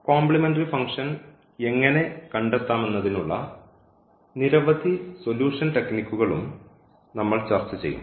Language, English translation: Malayalam, And we will discuss many solution techniques how to find complementary function